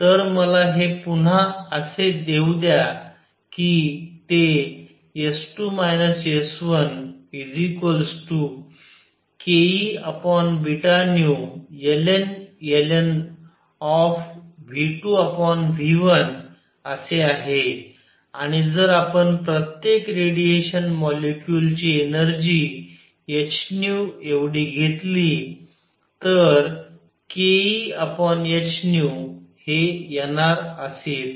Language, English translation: Marathi, So, let me this give you again that S 2 minus S 1 came out to be k E over h nu log of V 2 over V 1 and if we take energy of each radiation molecule to be h nu then k E over h nu comes out to be n R